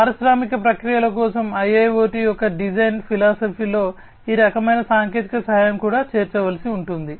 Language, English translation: Telugu, And this kind of technical assistance will also have to be incorporated into the design philosophy of IIoT for industrial processes